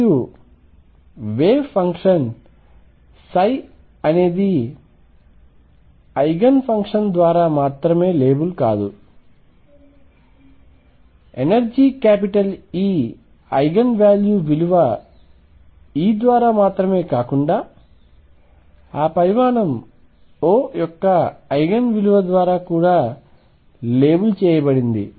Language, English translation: Telugu, And the wave function psi is not only labeled by Eigen function Eigen value of energy e, but also the Eigen value of that quantity O